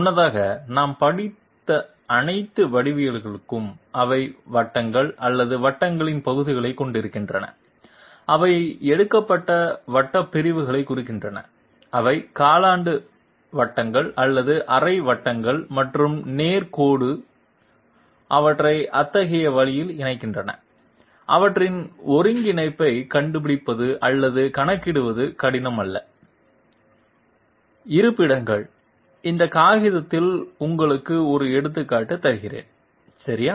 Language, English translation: Tamil, Previously, all the geometries that we have studied, they are containing circles or parts of circles I mean circular segments which are taken, they are either quarter circles or half circles and straight lines are you know connecting them up in such a way is not difficult to find out or compute their coordinate, their end coordinate locations, let me give you an example on this piece of paper okay